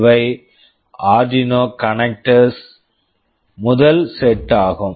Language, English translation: Tamil, These are the Arduino connector first set